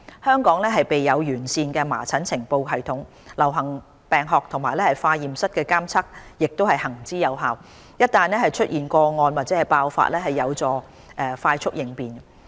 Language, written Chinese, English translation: Cantonese, 香港備有完善的麻疹呈報系統，流行病學和化驗室監測亦行之有效，一旦出現個案或爆發，有助快速應變。, Hong Kong has a well - established notification system of measles with effective epidemiology and laboratory surveillance . We will take prompt actions in case of cases or outbreak of measles infection